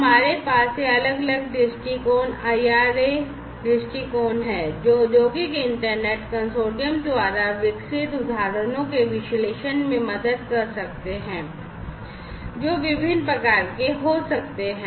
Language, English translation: Hindi, So, we have these different viewpoints IIRA viewpoints which can help in analyzing the use cases developed by the Industrial Internet Consortium which could be of different types